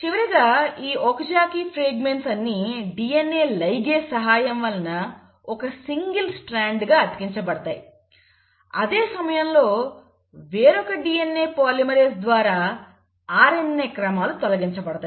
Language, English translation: Telugu, The Okazaki fragments are finally stitched together as a single strand by the DNA ligase while the RNA sequences are removed by another DNA polymerase